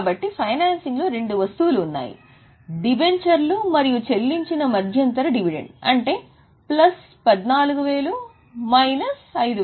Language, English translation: Telugu, So, in financing there are only two items, issue of debentures and interim dividend paid plus 14 minus 5